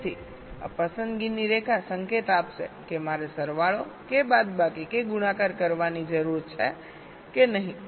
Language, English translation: Gujarati, so the select line will give the signal whether i need to do the addition or subtraction or multiplication